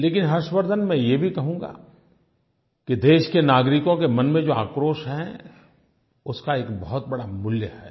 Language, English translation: Hindi, But, dear Harshvardhan, I shall also like to add that the anger in the hearts of our countrymen is of a very high value